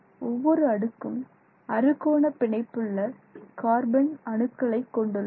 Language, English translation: Tamil, So hexagonally bonded carbon atoms